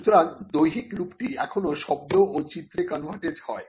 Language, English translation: Bengali, So, the physical embodiment now gets converted into words and figures